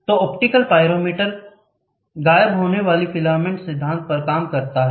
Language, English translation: Hindi, So, optical pyrometer, so optical pyrometer works on disappearing filament principle